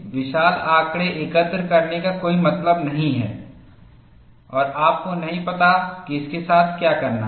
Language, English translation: Hindi, There is no point in collecting voluminous data and you find, you do not know what to do with it